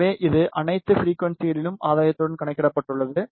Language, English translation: Tamil, So, it has calculated with gain at all the frequencies